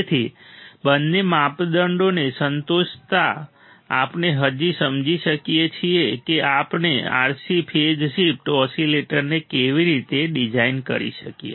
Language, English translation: Gujarati, So, satisfying both the criteria, we can now understand how we can design an RC phase shift oscillator